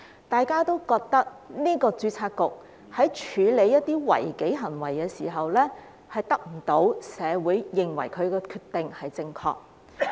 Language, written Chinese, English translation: Cantonese, 大家覺得註冊局在處理一些違紀行為的時候，得不到社會認同其決定是正確的。, We think the Board has failed to gain the recognition of the community that it has made the correct decision in handling certain disciplinary offences